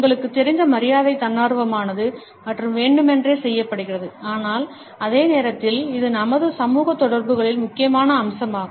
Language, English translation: Tamil, Politeness as you know is voluntary and also deliberate, but at the same time it is a crucial aspect of our social interactions